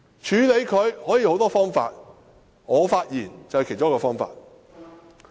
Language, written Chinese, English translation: Cantonese, 處理他可以有很多方法，發言是其中一個方法。, There are many ways to deal with him and speaking is one